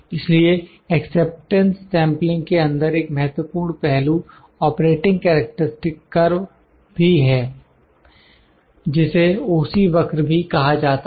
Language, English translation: Hindi, So, an important aspect in the acceptance sampling is the Operating Characteristic curve, OC curve that we call